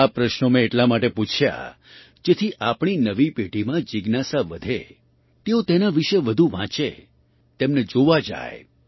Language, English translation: Gujarati, I asked these questions so that the curiosity in our new generation rises… they read more about them;go and visit them